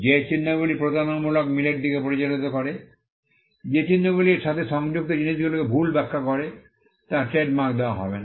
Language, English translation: Bengali, Marks that lead to deceptive similarity, marks which misdescribes the goods attached to it will not be granted trademark